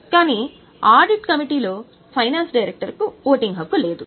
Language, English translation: Telugu, But the finance director does not have any voting right in the audit committee